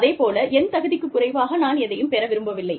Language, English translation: Tamil, I also, do not want to get less than, i deserve